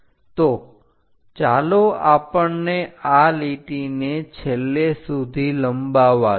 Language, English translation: Gujarati, So, let us extend this line all the way end